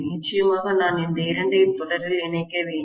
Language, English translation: Tamil, And of course I have to connect these two in series